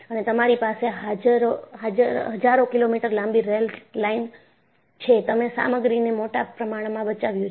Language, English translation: Gujarati, And, you have several thousand kilometers of railway line, so, you have enormously saved the material